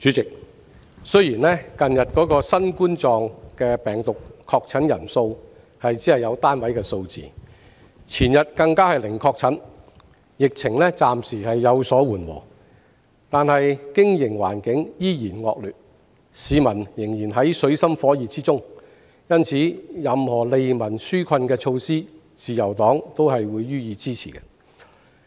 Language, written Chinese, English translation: Cantonese, 主席，雖然近日新型冠狀病毒的確診人數只有單位數字，前日更是零確診，疫情暫時有所緩和，但經營環境依然惡劣，市民仍然在水深火熱中，因此，任何利民紓困的措施，自由黨都會予以支持。, President though the number of confirmed novel coronavirus cases in recent days was only in single digit and no confirmed cases were recorded two days ago indicating that the epidemic has temporarily subsided the business environment is still very poor and the people are still in dire straits . Thus the Liberal Party will support all relief measures